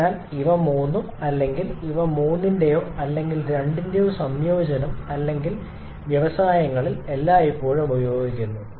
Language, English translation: Malayalam, So, all three or the combination of all three or any two of them or quite often used in industries